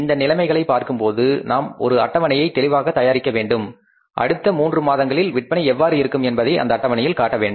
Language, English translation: Tamil, Looking at these conditions we will have to clearly prepare a schedule and we have to show in that schedule that how the sales in the next three months are going to be there